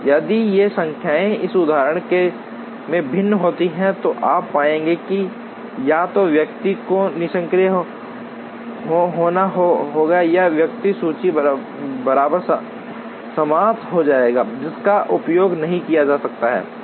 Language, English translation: Hindi, If these numbers vary as in this example, you will find that either the person has to be idle or the person will end up creating inventory which cannot be consumed